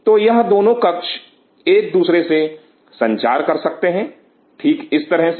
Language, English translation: Hindi, So, these two rooms can cross talk with each other right like this